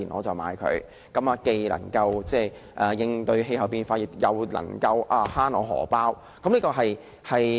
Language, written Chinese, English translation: Cantonese, 這樣既能夠應對氣候變化，亦能夠節省金錢。, This approach will not only tackle climate change but also save money